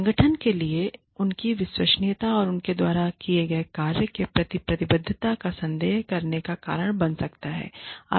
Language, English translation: Hindi, That can create a reason, for the organization, to doubt their credibility and commitment to the work, that they have undertaken